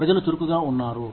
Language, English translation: Telugu, The people are active